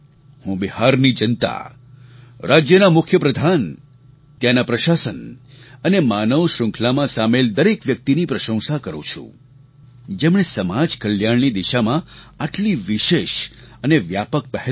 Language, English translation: Gujarati, I appreciate the people of Bihar, the Chief Minister, the administration, in fact every member of the human chain for this massive, special initiative towards social welfare